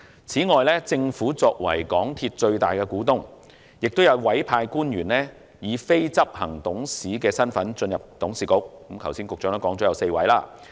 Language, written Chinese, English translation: Cantonese, 此外，政府作為港鐵公司的最大股東，亦有委派官員出任非執行董事，而局長剛才表示有4位。, Separately as the largest stakeholder of MTRCL the Government has appointed public officers as the companys non - executive directors―there are four according to the information provided by the Secretary just now